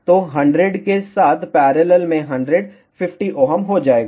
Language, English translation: Hindi, So, 100 in parallel with 100 will be 50 ohm